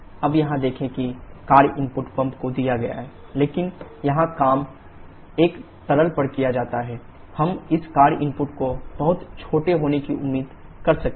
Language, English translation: Hindi, Now look here the work input is given to the pump but here work is done on a liquid, we can expect this work input to be extremely small